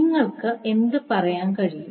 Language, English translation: Malayalam, So, what you can say